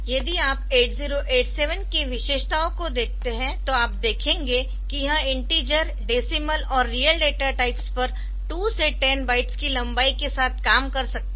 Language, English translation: Hindi, So, if you look into the features of 8087, so it can operate on data of type integer decimal and real types with length ranging from 2 to 10 bytes